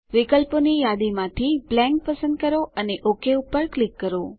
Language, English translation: Gujarati, From the list of options, select Blank and click OK